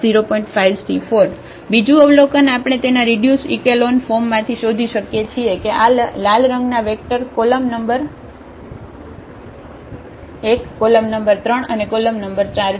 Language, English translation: Gujarati, Another observation which we can find out from the from that reduced echelon form that these vectors with red here the column number 1, column number 3 and column number 4